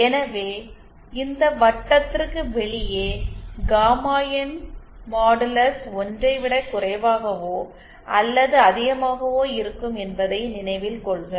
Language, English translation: Tamil, So note that either outside of this circle either modulus of gamma IN will be lesser or greater than 1